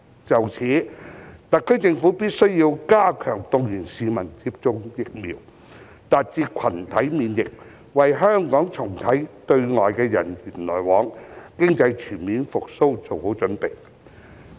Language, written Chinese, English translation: Cantonese, 就此，特區政府必須加強動員市民接種疫苗，達至群體免疫，為香港重啟對外的人員往來及經濟全面復蘇作好準備。, To this end the SAR Government must step up efforts to mobilize the public to get vaccinated in order to achieve herd immunity so as to prepare for the resumption of people - to - people exchanges with other places as well as for full economic recovery